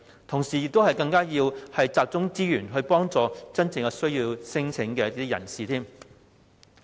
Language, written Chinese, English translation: Cantonese, 同時，我們亦要集中資源，幫助真正有需要的人士。, Meanwhile we also have to focus resources on helping those who are really in need